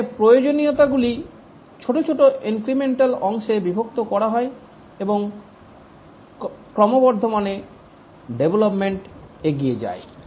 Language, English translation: Bengali, Here the requirements are decomposed into small incremental parts and development proceeds incrementally